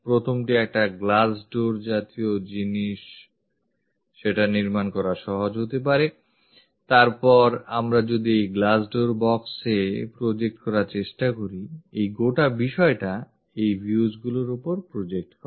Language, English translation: Bengali, The first one is maybe it is easy to construct a glass door kind of thing, then if we are trying to project on to this glass doors box method, this entire thing projects onto this views